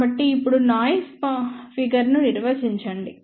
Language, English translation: Telugu, So, now let us define noise figure